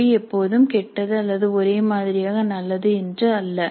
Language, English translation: Tamil, It is not that the language is always bad or uniformly good